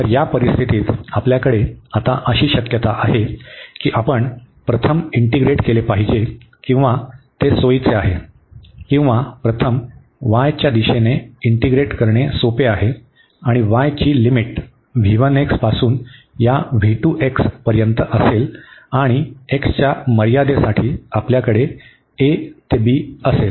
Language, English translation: Marathi, So, in this situation we have the possibility now that we should first integrate or it is convenient or it is easier to integrate first in the direction of y, and the limit of y will be from v 1 x to this v 2 x and then for the limit of x we will have a to b